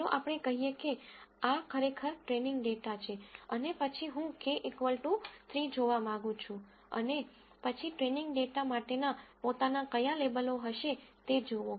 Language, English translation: Gujarati, Let us say this is actually the training data itself and then I want to look at k equal to 3 and then see what labels will be for the training data itself